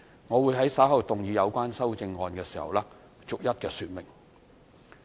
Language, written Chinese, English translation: Cantonese, 我會在稍後動議有關的修正案時逐一說明。, I will later move the amendments and explain them one by one